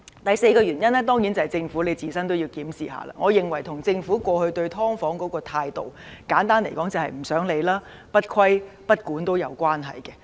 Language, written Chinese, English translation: Cantonese, 第三，當然是政府要自我檢視，我認為這與政府過去對"劏房"的態度有關，簡單而言是不想理會、不規不管。, Thirdly of course the Government has to do some self - examination . I believe this has to do with the Governments past attitude towards subdivided units . Simply put it is one of neglect and lack of regulation